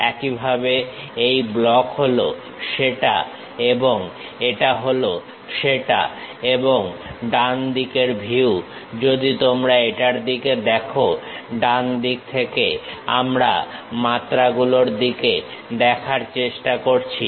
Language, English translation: Bengali, Similarly, this block is that and this one is that and right side view if you are looking at it, from right side dimensions we will try to look at